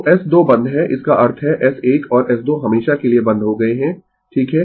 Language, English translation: Hindi, So, S 2 is closed this means S 1 and S 2 are closed forever right